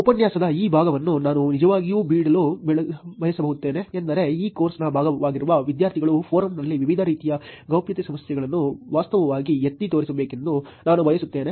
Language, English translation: Kannada, What I would like to actually leave this part of the lecture is actually I would like the students who are part of this course to actually point out different types of privacy issues on the forum